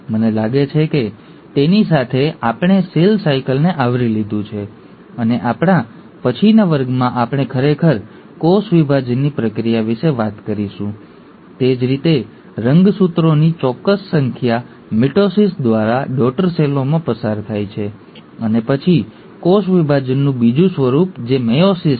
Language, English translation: Gujarati, I think with that, we have covered cell cycle, and in our next class, we will actually talk about the process of cell division, that is how exact number of chromosomes get passed on to the daughter cells through mitosis, and then another form of cell division, which is meiosis